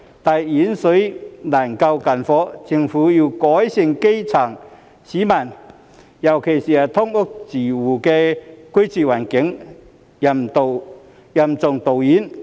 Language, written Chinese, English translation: Cantonese, 但遠水難救近火，政府要改善基層市民——尤其是"劏房"住戶——的居住環境，任重道遠。, It is a heavy load and a long road for the Government to improve the living environment of the grass roots―especially those living in SDUs